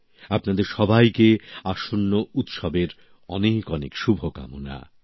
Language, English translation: Bengali, My very best wishes to all of you for the forthcoming festivals